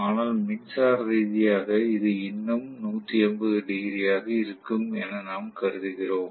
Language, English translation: Tamil, But electrically it will be still 180 degrees that is what we assume right